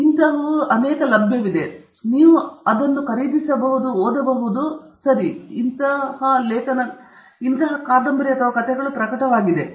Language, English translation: Kannada, This is available; you can buy it; you can read it; this is also published okay; so, this is published literature